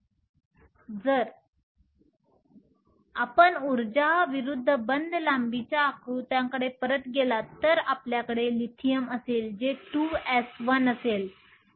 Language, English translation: Marathi, Energy versus bond length, if you have Lithium which is 2 s 1